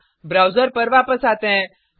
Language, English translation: Hindi, Let us come back to the browser